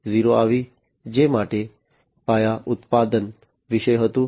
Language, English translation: Gujarati, 0, which was about mass production